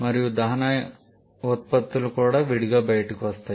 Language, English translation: Telugu, And the products of combustion that also comes out separately